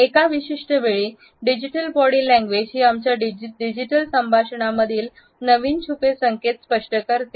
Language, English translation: Marathi, At a certain time and digital body language are the new hidden cues in signals in our digital conversations